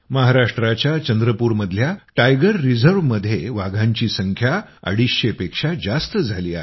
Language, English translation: Marathi, The number of tigers in the Tiger Reserve of Chandrapur, Maharashtra has risen to more than 250